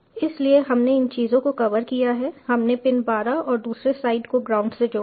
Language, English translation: Hindi, we have connected pin twelve and the other side to the ground